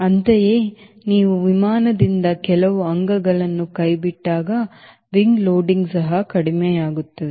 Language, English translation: Kannada, similarly, when you drop some stores from the aircraft t he wing loading also will decrease